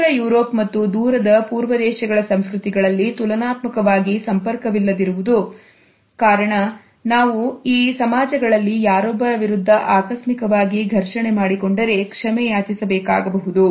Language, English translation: Kannada, We find that in Northern Europe and Far East cultures are relatively non contact to the extent that one may have to apologize even if we accidentally brush against somebody in these societies